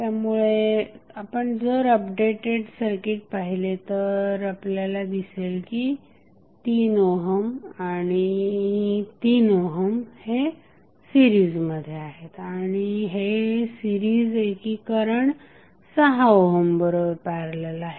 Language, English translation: Marathi, So, when you see this updated circuit you will come to know that 3 ohm 3 ohm are in series and the series combination of these 3 ohms is in parallel with 6 ohm